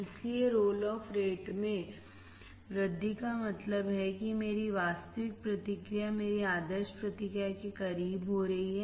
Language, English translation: Hindi, So, increasing the roll off rate means, that my actual response is getting closer to my ideal response